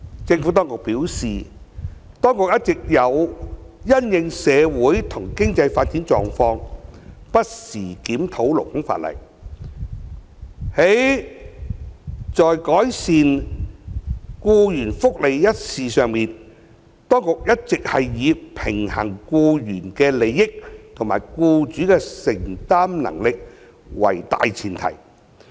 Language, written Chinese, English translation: Cantonese, 政府當局表示，當局一直有因應社會和經濟發展狀況，不時檢討勞工法例。而在改善僱員福利一事上，當局一向以平衡僱員的利益和僱主的承擔能力為大前提。, According to the Administrations response it has been from time to time reviewing the labour legislation in the light of the socio - economic development in Hong Kong and improving employees benefits on the principle of balancing the interests of employees and the affordability of employers